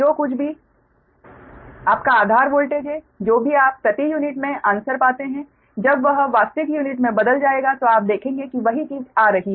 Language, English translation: Hindi, ah, whatever, whatever your base voltage, you say whatever answer you get in per unit or you will converted to real unit at the ten, you will see the same thing is coming right